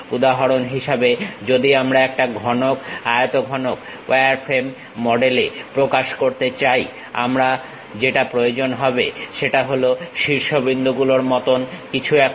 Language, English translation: Bengali, For example, if I want to represent a cube, cuboid; in the wireframe model what I require is something like vertices